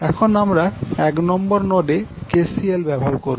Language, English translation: Bengali, Now we will apply the KCL and node 1